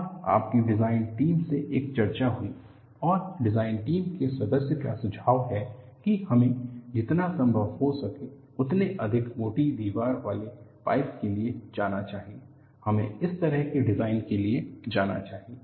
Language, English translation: Hindi, And you have a discussion in your design team and the design team member suggests, we should go for as high a wall thickness of the pipe should be possible, we should go for such a design